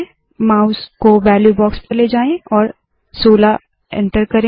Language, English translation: Hindi, Move the mouse to the value box and enter 16